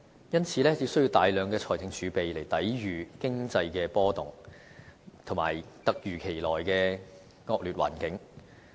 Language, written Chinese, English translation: Cantonese, 因此，有需要大量財政儲備來抵禦經濟的波動，以及突如其來的惡劣環境。, So large fiscal reserves are needed to safeguard against economic fluctuations and any sudden adversities